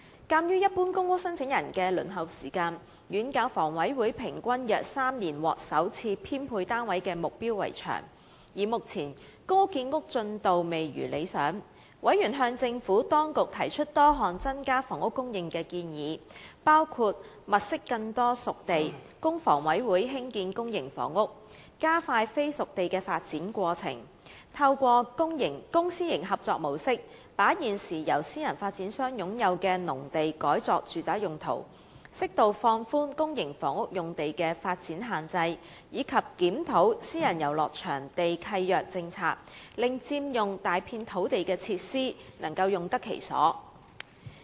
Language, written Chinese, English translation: Cantonese, 鑒於一般公屋申請人的輪候時間遠較房委會所訂平均約3年獲首次編配單位的目標為長，而目前公屋建屋進度未如理想，委員向政府當局提出多項增加房屋供應的建議，包括︰物色更多"熟地"，供房委會興建公營房屋；加快非"熟地"的發展過程；透過公私營合作模式，把現時由私人發展商擁有的農地改作住宅用途；適度放寬公營房屋用地的發展限制，以及檢討私人遊樂場地契約政策，令佔用大幅土地的設施，能用得其所。, In the light that the waiting time of general applicants for PRH allocation was way longer than the target of the HA of providing the first offer of PRH units at around three years on average and that the progress of PRH production was not satisfactory members made various suggestions to the Administration to increase housing supply including identifying more spade ready sites for HA to provide public housing expediting the development process of non - spade ready sites converting the agricultural land currently owned by private developers into residential use through public - private collaboration relaxing in an appropriate scale the development restrictions and conducting a review of the policy on private recreational leases PRLs so that facilities on large pieces of land leased under PRLs were used for meaningful purposes